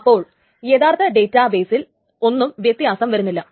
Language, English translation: Malayalam, So, nothing is being changed in the actual database